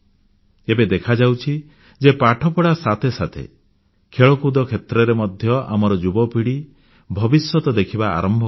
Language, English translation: Odia, It is becoming evident that along with studies, our new generations can see a future in sports as well